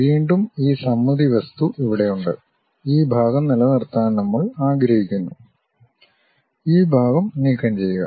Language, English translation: Malayalam, Again we have this symmetric object here and we would like to retain this part, remove this part